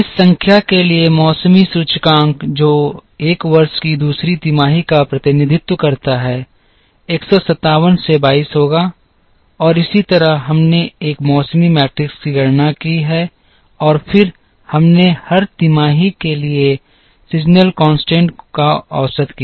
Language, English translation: Hindi, The seasonality index for this number which represents second quarter of year 1 would be 22 by 157 and so on and we computed a seasonality matrix and then we averaged the seasonality indices for every quarter